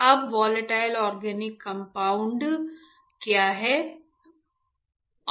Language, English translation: Hindi, VOC stands for Volatile Organic Compound